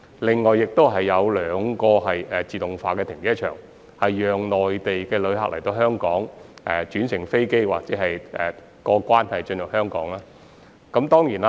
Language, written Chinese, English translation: Cantonese, 另外，亦會設有兩個自動化停車場，供內地旅客到港轉乘飛機或過關進入香港時使用。, In addition two automated car parks will be developed for use by Mainland visitors arriving in Hong Kong for flight transfers or upon customs clearance for entering Hong Kong